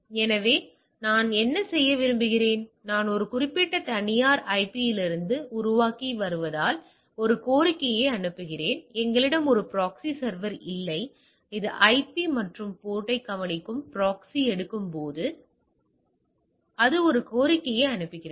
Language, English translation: Tamil, So, what I am doing I am sending a request as I am generating from the IP a particular private IP even not that we have a proxy server which it hits the proxy takes that observe that IP and the port and in turn send a request on behalf for me, right